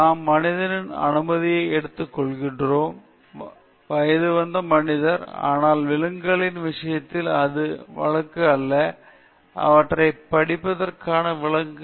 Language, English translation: Tamil, We take the permission of the human being, an adult human being, but in the case of animals this is not the case; we do not take the permission of animals to conduct study upon them